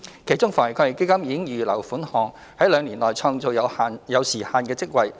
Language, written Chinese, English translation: Cantonese, 其中，防疫抗疫基金已預留款項，在兩年內創造有時限的職位。, Funding under AEF has been earmarked to create time - limited jobs within two years